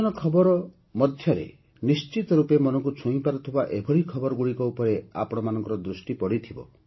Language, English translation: Odia, Amidst the news of the elections, you certainly would have noticed such news that touched the heart